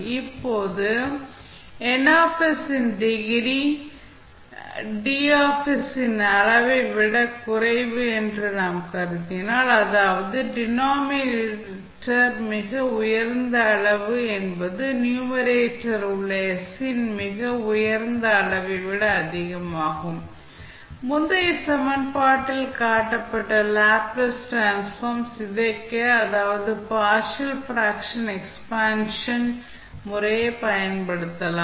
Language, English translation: Tamil, Now, if we assume that the degree of Ns is less than the degree of Ds that means the highest degree of s in denominator is greater than the highest degree of s in numerator we can apply the partial fraction expansion method to decompose the Laplace Transform which was shown in the previous equation